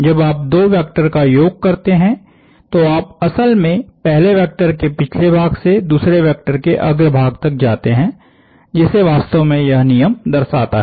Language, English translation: Hindi, So when you add two vectors you essentially go from the tail of the first vector to the head of the second vector that is essentially what this rule represents